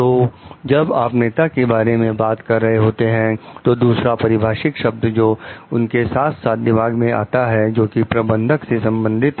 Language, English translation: Hindi, So, when you are talking of leaders, another term that which comes like very side by side in your mind is that of a manager